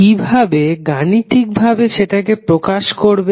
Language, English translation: Bengali, How you will represent it mathematically